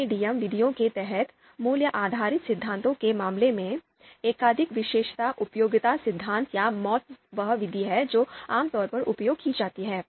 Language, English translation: Hindi, If we look at the examples of these two schools of thought under MADM methods, so value based theories, multiple attribute utility theory or MAUT, this is the method that is typically used